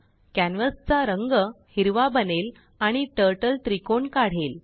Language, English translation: Marathi, The canvas color becomes green and the Turtle draws a triangle